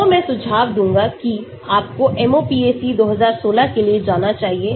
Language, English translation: Hindi, so I would suggest that you should go for MOPAC 2016